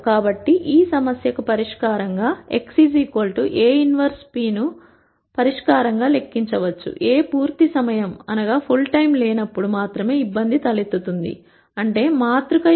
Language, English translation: Telugu, So, one could simply compute x equal A inverse p as a solution to this problem, the di culty arises only when A is not fulltime; that means, the rank of the matrix is less than n